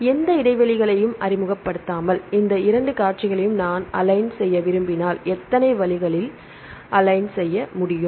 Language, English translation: Tamil, If I want to align these 2 sequences without introducing any gaps how many ways we can align 3 ways